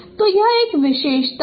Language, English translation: Hindi, So this is approximation